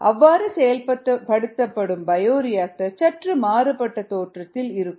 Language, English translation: Tamil, the bioreactors themselves might look a little different